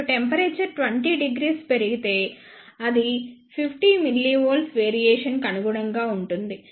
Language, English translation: Telugu, Now, suppose if the temperature increases by 20 degrees then it will corresponds to 50 millivolt variation